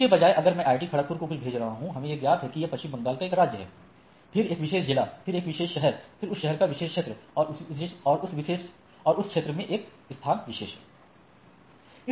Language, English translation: Hindi, Instead I divided that I if I am sending something to IIT Kharagpur, so, it is a state of West Bengal, then district a particular district, then particular city, then particular area of that city and then the thing